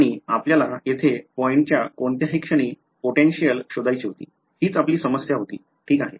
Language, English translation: Marathi, And we wanted to find out the potential at any point in space over here, that was what the problem was alright